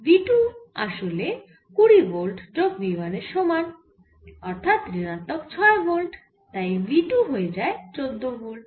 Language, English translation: Bengali, so now v two, actually twenty volt, plus this v one which is minus six volt, so it becomes fourteen